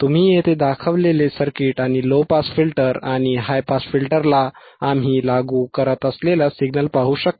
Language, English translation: Marathi, You can see the circuit which is shown here, circuit which is shown here right and the signal that we are applying is to the low pass and high pass filter you can see here correct